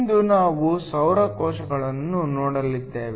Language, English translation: Kannada, Today, we are going to look at solar cells